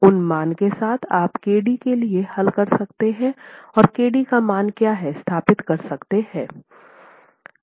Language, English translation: Hindi, With those values known you can solve for KD and establish what the value of KD itself is